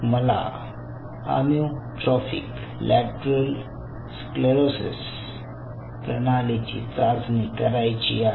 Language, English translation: Marathi, say, for example, i wanted to test a system for als amyotrophic lateral sclerosis